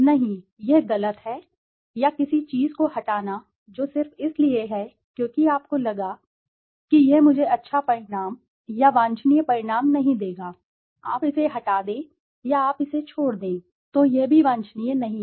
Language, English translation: Hindi, No, this is a wrong, or deleting something which is there just because you felt it would not give me a good result or a desirable result, you delete it or you omit it, then that is also not desirable